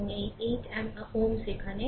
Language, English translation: Bengali, And this 8 ohm is here